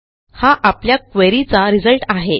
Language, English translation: Marathi, These are the results of your query